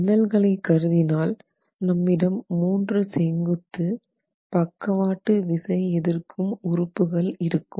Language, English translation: Tamil, So, now once the windows are considered, then you actually have only three vertical lateral load resisting elements